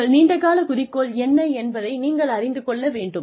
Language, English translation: Tamil, You should know, what your long term goal is